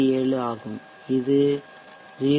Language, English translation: Tamil, 67 that corresponds to 0